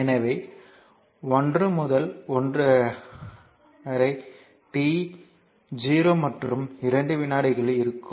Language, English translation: Tamil, So, 1to t 1 to, but we want to in between 0 and 2 seconds